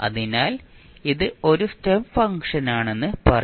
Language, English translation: Malayalam, So, you will simply say it is a step function